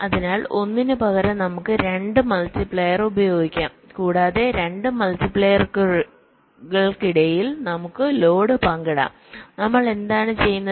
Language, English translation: Malayalam, so let us use two multipliers instead of one, ok, and let us share our load between the two multipliers and what we are doing